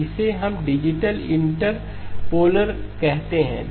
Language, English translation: Hindi, This is what we call as a digital interpolator